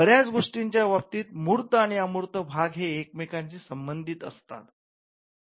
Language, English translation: Marathi, So, in many cases that tangible and the intangible parts are connected